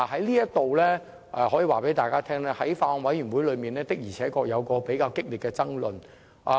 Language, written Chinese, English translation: Cantonese, 在此，我可以告訴大家，法案委員會在討論過程中確實出現比較激烈的爭論。, I can tell Members here that during the discussions at the Bills Committee there had been heated debates over this point